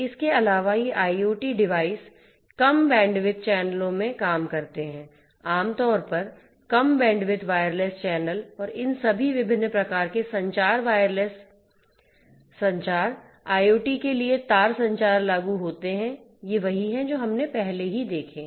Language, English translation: Hindi, Plus these devices, IoT devices operate in low bandwidth channels; typically, low bandwidth wireless channels and all these different types of; different types of communication wireless communication, wire communication applicable for IoT these are the ones that we have already seen